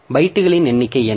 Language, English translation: Tamil, So, what is the number of bytes